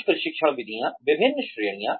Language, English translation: Hindi, So, various types of training methods